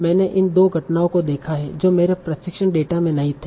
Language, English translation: Hindi, So in the test data, I have seen these two occurrences that were not there in the training data